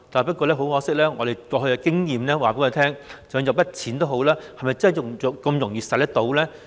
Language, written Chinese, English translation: Cantonese, 不過，很可惜，過去的經驗告訴我們，即使有一筆錢，也不一定容易用到。, However unfortunately past experience tells us that even if there is a sum of money it may not be easy to apply for the money under the fund